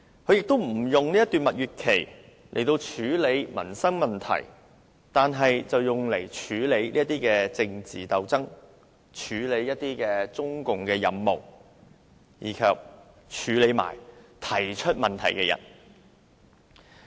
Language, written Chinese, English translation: Cantonese, 她亦無利用這段蜜月期處理民生問題，反而着手處理政治鬥爭及中共的任務，以及對付提出問題的人。, She has not made use of this honeymoon period to deal with livelihood issues; instead she initiates political struggles handles the tasks assigned by CPC and targets at those who raised queries